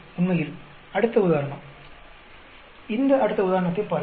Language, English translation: Tamil, In fact, the next example, look at this next example